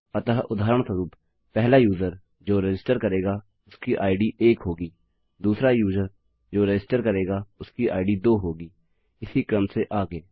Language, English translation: Hindi, So, for example, the first user who registers will have an id of one, the second user who registers will have an id of two and so on and so forth